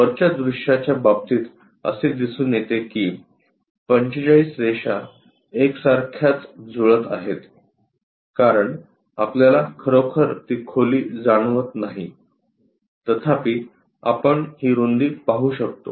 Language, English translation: Marathi, In case of top view that 45 lines coincides we cannot really sense that depth; however, we can see this width